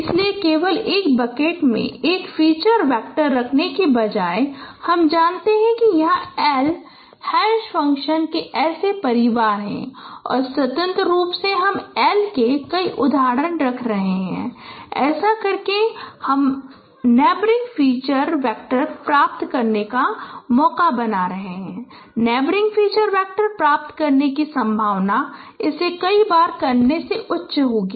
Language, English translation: Hindi, So instead of keeping a feature vector only in one bucket you consider there are L such family of hash functions and independently you are keeping L multiple instances by doing you are you are making the chance of getting neighboring feature vector the probability of neighboring feature vector would be high that is the chance by doing it times